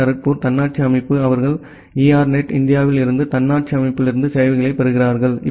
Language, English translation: Tamil, Now this IIT, Kharagpur autonomous system they are getting services from ERNET India the autonomous system